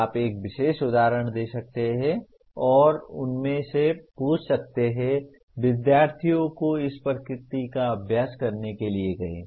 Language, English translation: Hindi, You can give a particular example and ask them, ask the students to do an exercise of this nature